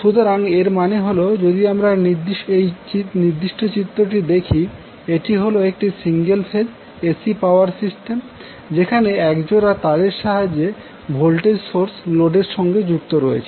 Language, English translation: Bengali, So, that means, if you see this particular figure, this is a single phase AC power system where you have voltage source connected to the load with the help of the pair of wires